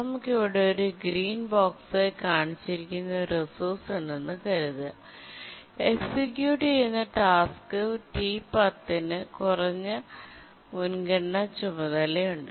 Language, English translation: Malayalam, We have a resource shown as a green box here and we have a task T10 which is executing